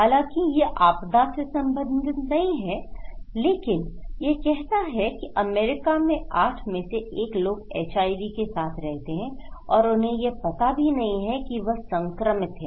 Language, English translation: Hindi, Of course, it is not related to disaster but it’s saying that 1 in 8 living with HIV in US they don’t know, they don’t know that they are infected